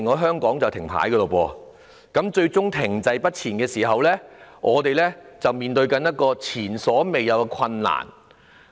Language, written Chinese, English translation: Cantonese, 香港停滯不前時，我們就要面對前所未有的困境。, When Hong Kong cannot move forward we will be beset with unprecedented predicament